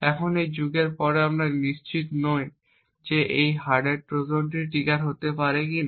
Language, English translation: Bengali, Now beyond this epoch period we are not certain whether a hardware Trojan may get triggered or not